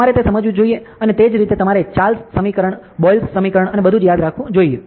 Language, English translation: Gujarati, You should understand that ok; and similarly you must also remember the Charles equation, Boyle’s equation and everything ok